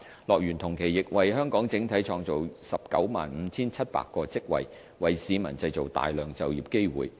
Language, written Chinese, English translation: Cantonese, 樂園同期亦為香港整體創造 195,700 個職位，為市民製造大量就業機會。, HKDL has also created a total of 195 700 jobs for Hong Kongs economy over the same period providing considerable job opportunities to the general public